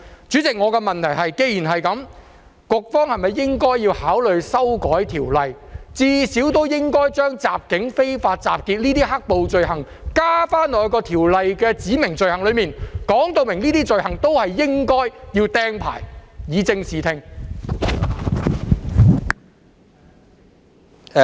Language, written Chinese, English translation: Cantonese, 主席，我的問題是，既然如此，局方是否應該考慮修改《條例》，至少將襲警和非法集結等"黑暴"罪行納入《條例》的指明罪行中，表明干犯這些罪行也應要被"釘牌"，以正視聽？, President my question is that given the above scenario should the Bureau not consider amending the Ordinance at least to include the offences of assault of police and unlawful assembly in the specified offences under the Ordinance making it clear that the commission of such offences should be punishable by deregistration so as to ensure a correct understanding of the matter?